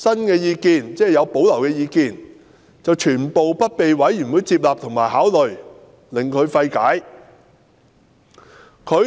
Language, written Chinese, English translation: Cantonese, 然而，他提出有保留的意見全部不獲委員會接納及考慮，令他費解。, However all of his reservations were neither taken on board nor considered by the Commission and this in his view is incomprehensible